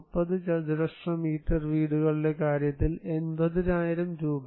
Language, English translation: Malayalam, 80,000 in case of 30 square meter houses